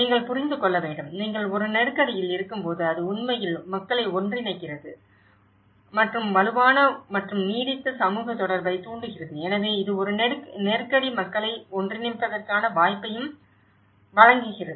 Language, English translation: Tamil, One has to understand, when you are in a crisis, it actually brings people together and stimulates stronger and lasting social connectedness so, this is a crisis also gives an opportunity to bring people together